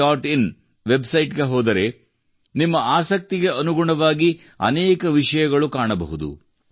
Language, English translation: Kannada, in website, you will find many things there according to your interest